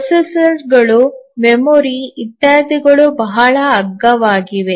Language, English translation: Kannada, The processors, memory etcetera have become very cheap